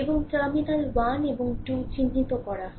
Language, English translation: Bengali, And terminal 1 and 2 is marked; terminal 1 and 2 is marked